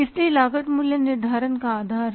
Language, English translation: Hindi, So, costing is the basis of pricing